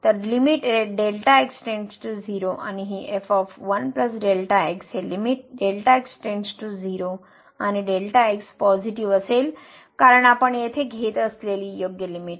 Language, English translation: Marathi, So, the limit goes to 0, and this ) will be this is limit goes to 0 and positive because the right limit we are taking here